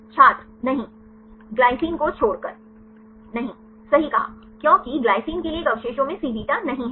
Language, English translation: Hindi, No except glycine No right because one residue right for glycine does not have the Cβ